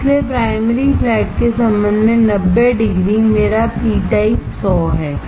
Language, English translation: Hindi, So, 90 degree with respect to primary flat is what is my p type 100